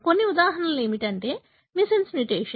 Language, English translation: Telugu, Some of the examples are missense mutation